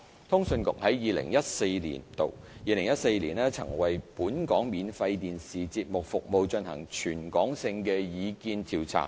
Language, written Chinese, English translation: Cantonese, 通訊局在2014年曾為本地免費電視節目服務進行全港性的意見調查。, In 2014 CA conducted a territory - wide survey to collect public views on the domestic free TV programme services